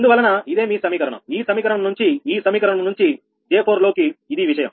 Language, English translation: Telugu, because this is your ah, from this equation, from this equation, j four into this is thing